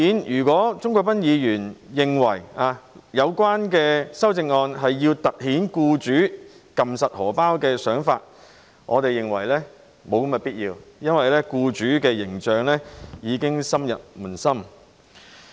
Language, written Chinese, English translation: Cantonese, 如果鍾國斌議員認為有關修正案是要凸顯僱主緊按錢包的想法，我們認為沒有必要，因為僱主的形象已經深入民心。, If Mr CHUNG Kwok - pan considers that the relevant amendment serves to highlight the employers intention of tightening the purse strings we think this is unnecessary because their image has been deeply embedded in the minds of the public